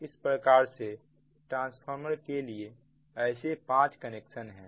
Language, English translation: Hindi, so there are five such connections for transformer